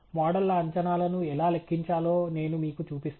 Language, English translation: Telugu, I will show you how to compute the predictions of the models